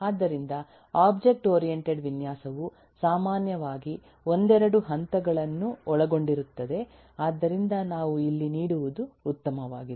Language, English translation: Kannada, so the object oriented design comprised typically of a couple of stages, so better that we give